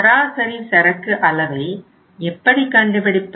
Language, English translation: Tamil, It means average inventory is how much